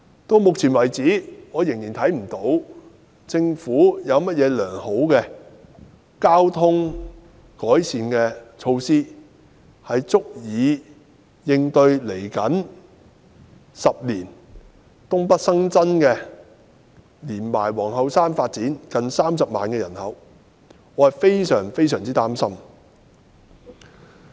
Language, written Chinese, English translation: Cantonese, 至目前為止，我仍未能看到政府有甚麼好的改善交通措施，足以應對未來10年東北發展及皇后山發展所新增約30萬的人口。, So far we have not yet seen any desirable transport improvement measures introduced by the Government to cater for the additional population of about 300 000 due to the development of NENT and Queens Hill in the coming decade